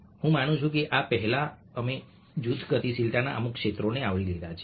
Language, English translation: Gujarati, i believe that before this, we have already covered certain areas of group dynamics